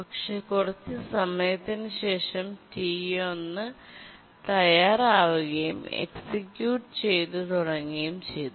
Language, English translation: Malayalam, And after some time T4 becomes ready, it starts executing